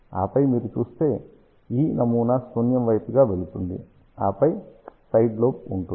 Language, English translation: Telugu, And then if you see this pattern goes through the null, and then there is a side lobe